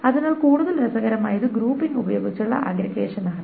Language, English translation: Malayalam, So what is more interesting is aggregation with grouping